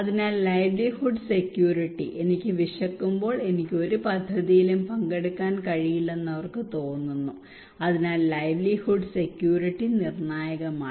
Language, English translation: Malayalam, So livelihood security, they feel that when I am hungry I cannot participate in any projects so livelihood security is critical